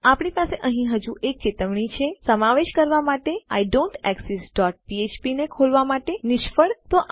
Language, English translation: Gujarati, We have another warning here Failed to open idontexist dot php for inclusion and all of this